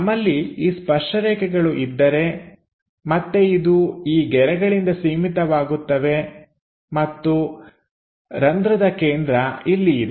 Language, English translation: Kannada, So, if we are having these tangent lines, again its bounded by these lines and hole center here